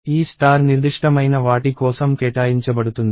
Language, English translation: Telugu, So, this star is reserved for something specific